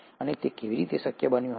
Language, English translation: Gujarati, And how it would have been possible